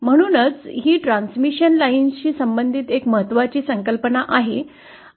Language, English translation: Marathi, So this is one important concept associated with transmission lines